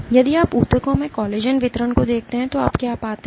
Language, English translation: Hindi, If you look at the collagen distribution in tissues, what you find